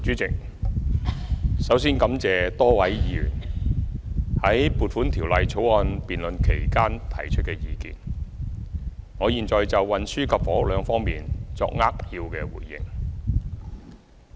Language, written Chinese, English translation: Cantonese, 主席，首先感謝多位議員在《撥款條例草案》辯論期間提出意見，我現就運輸及房屋兩方面作扼要回應。, President first of all I thank Members for expressing their views during the debate on the Appropriation Bill . I will now give a brief response in respect of transport and housing